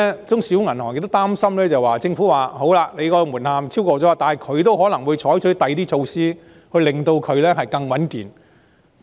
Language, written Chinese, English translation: Cantonese, 中小銀行另一擔心之處是，雖然他們未達門檻，但政府可能會採取其他措施令其更加穩健。, Another concern for small and medium banks is that although they have not reached the threshold the Government may take other measures to reinforce their soundness